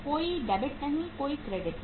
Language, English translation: Hindi, No debit, no credit